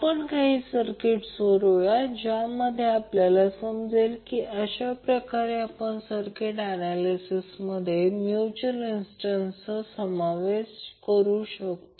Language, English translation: Marathi, Now let solve few of the circuits so that we can understand how you can involve the mutual inductance in our circuit analyses